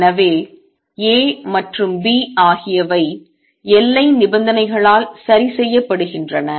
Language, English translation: Tamil, So, A and B are fixed by the boundary conditions